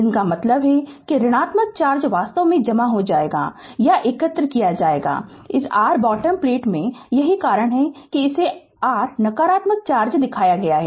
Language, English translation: Hindi, This means that negative charge actually will be accumulated or will be collected, in this your what you call bottom plate that is why it is shown minus, minus, minus, then your negative charge